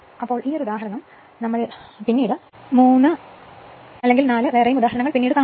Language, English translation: Malayalam, Now this one example we will take another 3 or 4 later